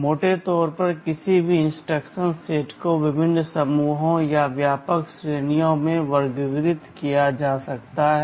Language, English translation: Hindi, Broadly speaking any instruction set can be categorized into various groups or broad categories